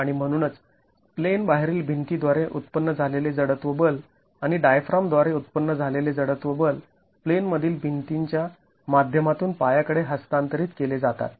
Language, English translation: Marathi, And so the inertial force generated by the out of plane wall and the inertial force generated by the diaphragm is then transmitted to the foundation through the in plane walls